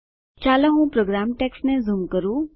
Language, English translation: Gujarati, Let me zoom into the program text